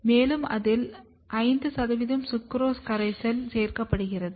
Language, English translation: Tamil, And, then a 5 percent sucrose solution is added to it